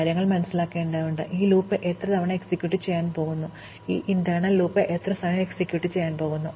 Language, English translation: Malayalam, So, we have to kind of understand, how many times this loop is going to execute and how much time this inner loop is going to execute